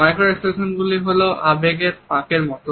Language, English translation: Bengali, Micro expressions are like leakages of emotions